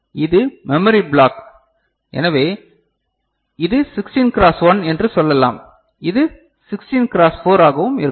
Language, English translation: Tamil, So, this is the memory say block so, say it is a 16 cross 1, it could be 16 cross 4 also ok